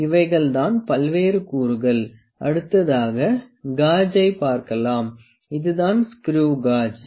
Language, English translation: Tamil, So, these are various components next I come to my gauge, this screw gauge, this is our screw gauge